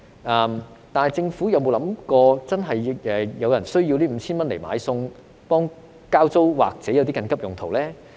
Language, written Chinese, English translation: Cantonese, 可是，政府有否想過有人真的需要這 5,000 元來買菜、交租或作緊急用途呢？, Has it ever occurred to the Government that some people are in genuine need of that 5,000 for buying food paying rent or emergency purposes?